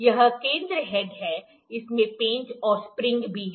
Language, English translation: Hindi, This is the center head, it also has the screw, the spring here